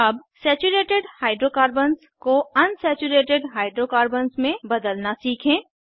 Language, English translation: Hindi, Let us learn to convert Saturated Hydrocarbons to Unsaturated Hydrocarbons